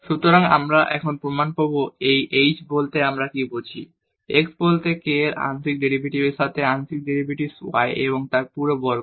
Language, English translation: Bengali, So, we will get in the proof now what do we mean by this h, the partial derivative with respect to x plus k the partial derivative y and then whole square